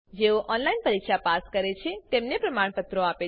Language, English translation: Gujarati, Gives certificates to those pass an online test